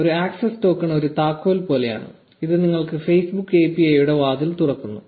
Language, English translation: Malayalam, Now an access token is like a key which opens the door of the Facebook API for you